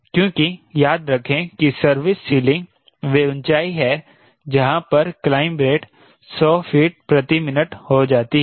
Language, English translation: Hindi, because, remember, service ceiling is that altitude at which rate of climb becomes hundred feet per minute